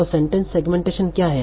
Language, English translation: Hindi, So what is sentence segmentation